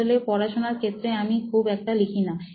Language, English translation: Bengali, Actually in studying I do not really write, I do not